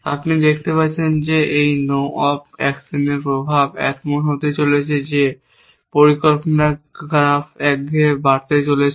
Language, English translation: Bengali, You can see the effect of this no op actions is going to be that the planning graph is going to grow monotonically